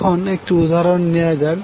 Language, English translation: Bengali, Now let us take one example